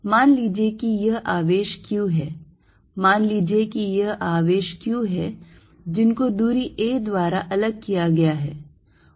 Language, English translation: Hindi, Let this be charge Q, let this be charge Q, separated by a distance a